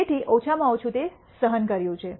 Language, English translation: Gujarati, So, at least that is borne out